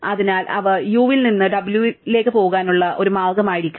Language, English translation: Malayalam, So, there must be a way to go from u to w